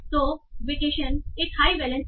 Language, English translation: Hindi, So vacation is getting a high balance